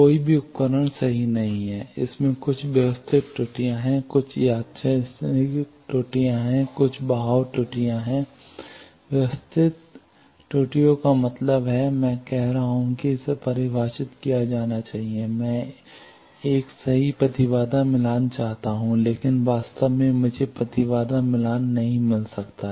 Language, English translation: Hindi, No equipment is perfect, it has some systematic errors, some random errors, some drift errors, systematic errors means suppose I am saying that it should be defined, I want a perfect impedance match, but in reality I cannot always get impedance matched I say that at the port the terminal should be defined